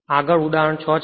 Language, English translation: Gujarati, So, next is example 5